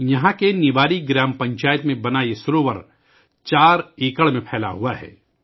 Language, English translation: Urdu, This lake, built in the Niwari Gram Panchayat, is spread over 4 acres